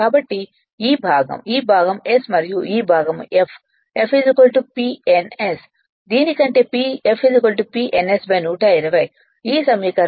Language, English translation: Telugu, So, this is your this part is s and this part is your what you call f, f is equal to P ns rather than this one you write f is equal to P ns divided by 120 from this equation f is equal to